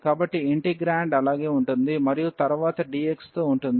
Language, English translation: Telugu, So, the integrand will remain as it is and then later on with dx